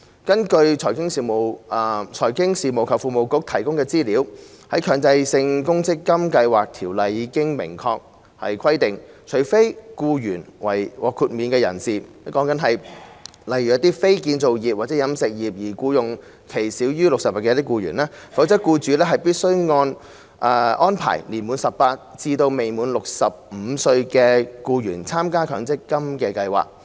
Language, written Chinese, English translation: Cantonese, 根據財經事務及庫務局提供的資料，《強制性公積金計劃條例》已明確規定，除非僱員為獲豁免人士，例如非建造業或飲食業而僱用期少於60日的僱員，否則僱主必須安排年滿18歲至未滿65歲的僱員參加強積金計劃。, According to the information provided by the Financial Services and the Treasury Bureau the Mandatory Provident Fund Schemes Ordinance has clearly provided that except for employees who are exempt persons such as employees not working in the construction industry or the catering industry with an employment period of less than 60 days employers are required to make arrangements for their employees aged between 18 and 65 to join an MPF scheme